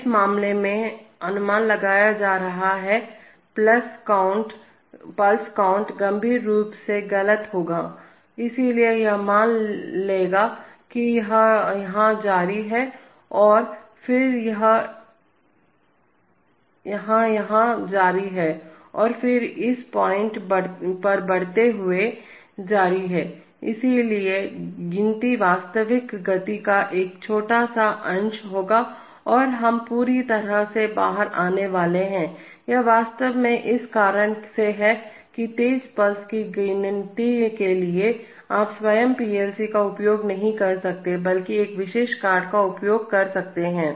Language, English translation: Hindi, So the inferred pulse is going to be in this case, the pulse count will be severely wrong, so it will assume that it has continued here and then it is continuing here and then it is continuing here and then it is continuing at this point is rising, so the count will be a small fraction of the real speed and we are going to be totally out, it is actually for this reason that for counting fast pulses, you cannot use the PLC itself but rather use a special card